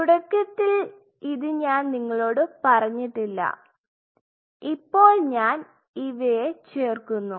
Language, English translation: Malayalam, So, which I did not in the beginning told you now I am adding them what do you do